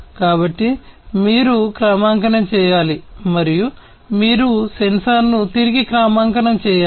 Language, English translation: Telugu, So, you have to calibrate and you have to re calibrate a sensor